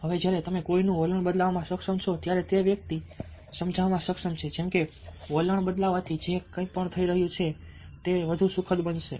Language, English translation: Gujarati, now, when you are able to change somebodies attitude, you are able to convince that person that by changing the attitude, whatever was happening would become more pleasant